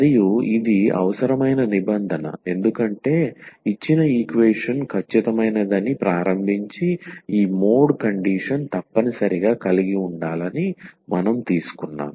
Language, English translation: Telugu, And this is the necessary condition because we have a started with that the given equation is exact and then we got that this mod condition must hold